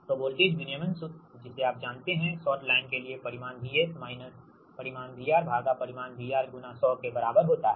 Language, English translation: Hindi, so voltage regulation formula, you know for your what you call for short line, right, it is magnitude v s minus magnitude v r upon magnitude v r in to hundred